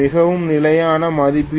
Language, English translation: Tamil, Very standard ratings are 0